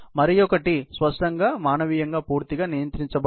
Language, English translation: Telugu, And the other one obviously, is manually fully controlled